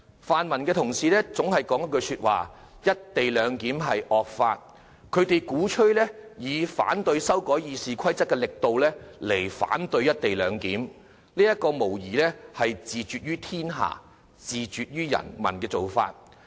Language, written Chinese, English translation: Cantonese, 泛民同事堅持"'一地兩檢'是惡法"，鼓吹以反對修改《議事規則》的力度去反對《條例草案》，這無疑是自絕於天下，自絕於人民的做法。, Honourable colleagues from the pro - democracy camp insist that the co - location Bill is a draconian law which should be opposed as forcibly as the bid to amend the Rules of Procedure was opposed